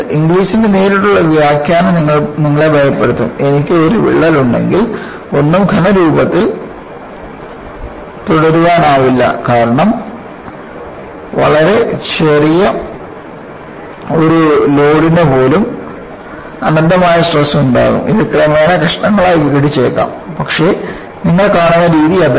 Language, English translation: Malayalam, The direct interpretation of Inglis will only alarm you that nothing can remain in solid form, if I have a crack; because even, for a very small load, you will have an infinite stress; it may eventually break into pieces, but that is not the way you come across